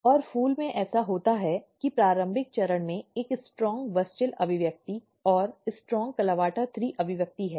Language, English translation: Hindi, And in flower what happens that at early stage there is a strong WUSCHEL expression and strong CLAVATA THREE expression